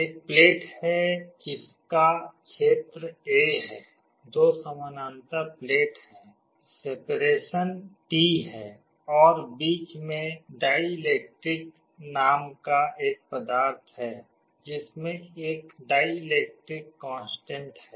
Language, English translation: Hindi, There is a plate whose area is A, there are two parallel plates, the separation is d, and there is a material in between called dielectric, which has a dielectric constant